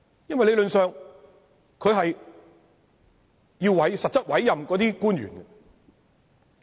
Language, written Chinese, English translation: Cantonese, 因為理論上，他是要實質委任官員的。, Because theoretically speaking the appointed officials are accountable to them